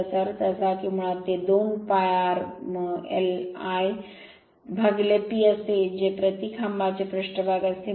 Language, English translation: Marathi, That means, basically it is basically 2 pi r l by P that is surface area per pole right